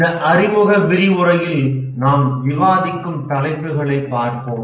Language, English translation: Tamil, Let's look at the topics that we will discuss in this introductory lecture